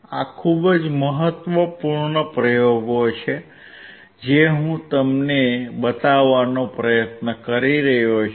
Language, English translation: Gujarati, These are very important experiments that I am trying to show it to you